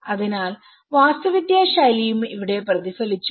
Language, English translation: Malayalam, So here, the architectural style also reflected